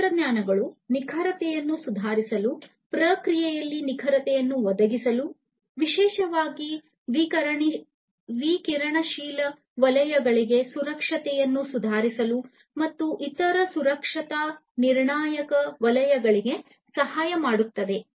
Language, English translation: Kannada, These technologies can also help in improving the precision, providing precision in the processes, in the production processes, providing safety, improving the safety especially for radioactive zones, and different other you know safety critical zones